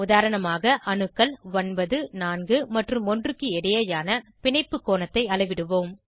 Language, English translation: Tamil, For example we will measure the bond angle between atoms 9, 4 and 1